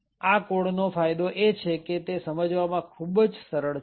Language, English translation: Gujarati, The advantage of this code is that it is very simple to understand